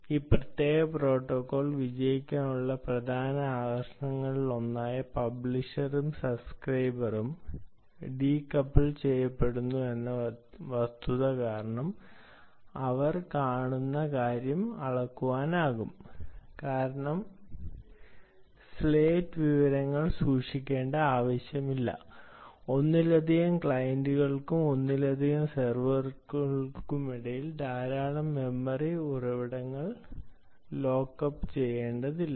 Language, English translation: Malayalam, one of the main attractions for this particular protocol to succeed is because the fact that there is no need to keep state information, no need to lock up a lot of memory resources between multiple clients and multiple servers